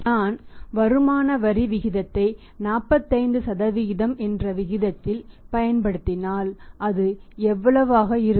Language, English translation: Tamil, If we apply the tax rate income tax income tax at rate of 45% how much is going to be that